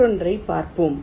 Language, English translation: Tamil, lets look at the other one